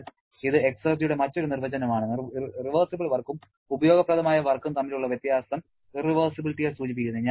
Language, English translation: Malayalam, So, this is an alternate definition of the exergy and the difference between reversible work and useful work refers the irreversibility